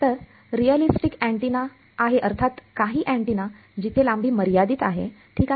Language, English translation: Marathi, So, realistic antenna is; obviously, some an antenna where the length is finite ok